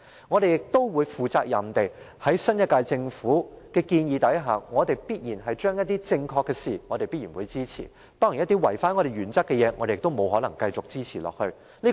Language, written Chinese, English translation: Cantonese, 我們也會肩負責任，就新一屆政府所提建議，對於正確的事情，我們必然會支持。當然，一些違反原則的事，我們沒法繼續支持下去。, We would bear our responsibility and grant our support for proposals put forward by the next - term Government on matters we consider worth supporting while it would only be normal for us to withdraw our support for proposals that run contrary to our principles